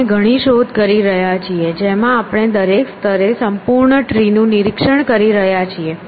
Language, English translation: Gujarati, We are doing a sequence of searches in which we are inspecting the complete tree at every level